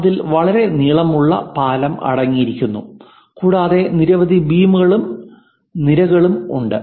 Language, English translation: Malayalam, It contains a very long bridge and many beams and columns are there